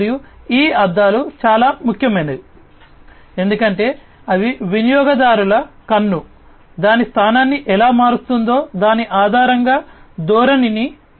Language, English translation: Telugu, And these mirrors are very important because they can basically you know they can change the orientation based on how the users’ eye, how the users’ eye changes its position